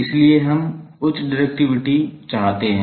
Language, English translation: Hindi, So, we want high directivity